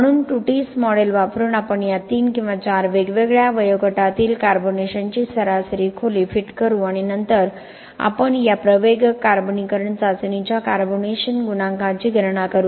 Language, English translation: Marathi, So using the Tutis model, we will just fit this mean carbonation depth at these three or four different ages and then we will just calculate the carbonation coefficient of this accelerated carbonation test